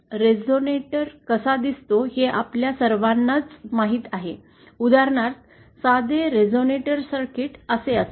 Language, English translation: Marathi, We all know what a resonator looks like, for example a simple resonator circuit would be like this